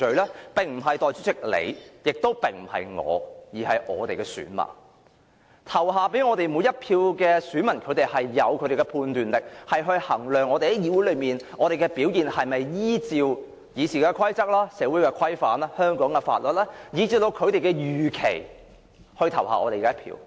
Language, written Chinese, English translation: Cantonese, 這並不是由代理主席或我本人說了算的，而應由投票給我們的每一位選民自行判斷，評定我們在議會內的表現是否符合《議事規則》、社會規範、香港法律，以至他們的預期。, This is neither decided by Deputy President nor myself but instead judgment should be made by each and every voter who had voted for us as to whether we have performed in compliance with the RoP social norms and laws of Hong Kong and whether we have met their expectations as well